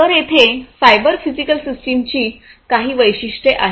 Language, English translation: Marathi, So, here are some features of cyber physical systems